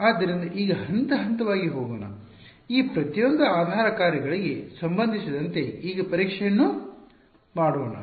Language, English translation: Kannada, So, now, let us let us go step by step let us do testing now with respect to each of these basis functions ok